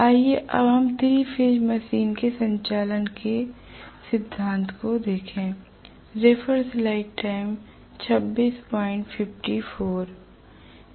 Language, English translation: Hindi, Let us now go over to the principle of operation of the 3 phase induction machine